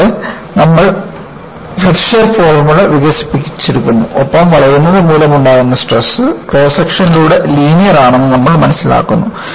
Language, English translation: Malayalam, And, you develop the Flexure formula and you learn whatever the stresses due to bending are linear over the cross section